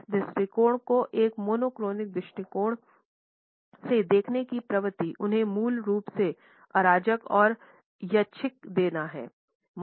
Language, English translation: Hindi, The tendency to view this attitude from a monochronic perspective is to view them as basically chaotic or random